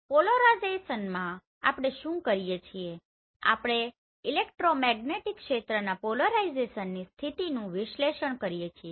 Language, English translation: Gujarati, So in polarimetry what we do we acquire process and analyze the polarization state of an electromagnetic field